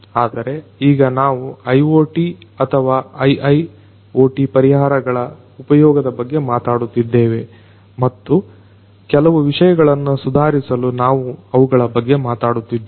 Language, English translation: Kannada, But only now we are talking about the use of IoT or IIoT solutions and we are doing that in order to improve certain things